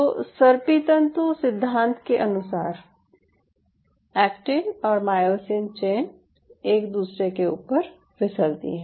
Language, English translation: Hindi, so during sliding filament motion, it is the actin and myosin chains are sliding over one another